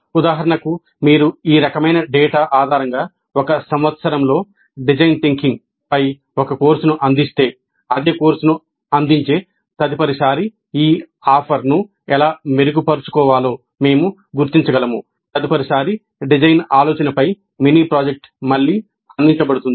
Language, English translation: Telugu, For example, if we offer a course on design thinking in one year, based on this kind of a data, we can figure out how to improve this offer next time the same course is offered